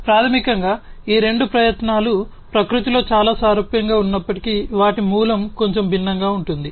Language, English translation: Telugu, So, basically these two efforts although are quite similar in nature their origin is bit different